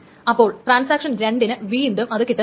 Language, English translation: Malayalam, So transaction 2 doesn't get it